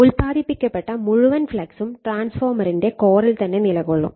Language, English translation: Malayalam, All the flux produced is confined to the core of the transformer